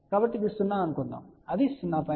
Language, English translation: Telugu, So, suppose this is 0, it will be 0